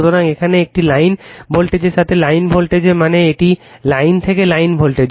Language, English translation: Bengali, So, here it is with a line voltage of to your line voltage means, it is a line to line voltage right